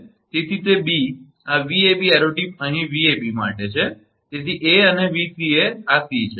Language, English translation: Gujarati, So, it is b this Vab arrow tip is here for Vab so, a and Vca this is c